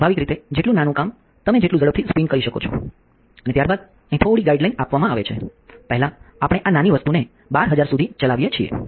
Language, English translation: Gujarati, Obviously, the smaller the workpiece the faster you can spin and then given little guideline here, first we ran this little guy up to 12000